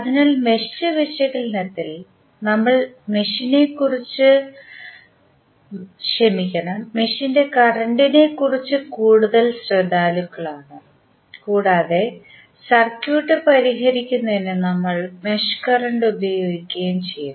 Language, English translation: Malayalam, So, in the mesh analysis we are more concerned about the mesh current and we were utilizing mesh current to solve the circuit